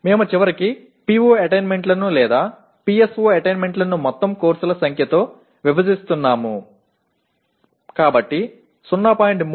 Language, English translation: Telugu, But because we are finally dividing the PO attainments or PSO attainments by the total number of courses so 0